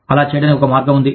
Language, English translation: Telugu, There is a way, to do that